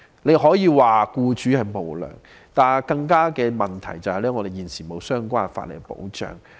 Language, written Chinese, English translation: Cantonese, 大家可以說僱主無良，但更重要的問題是，現時沒有相關法例保障僱員。, We may say their employers are unscrupulous . However a more important problem is that there are no relevant laws to protect employees